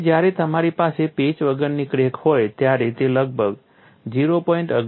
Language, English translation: Gujarati, So, when you have a unpatched crack, it is about 0